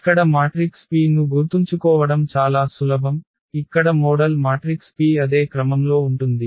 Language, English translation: Telugu, Remember it is easy to remember here the model P here the model matrix P will be of the same order as A